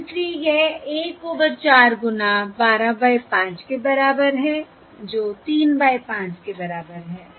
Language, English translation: Hindi, correct, And therefore this is equal to 1 over 4 into 12 by 5, which is equal to 3 by 5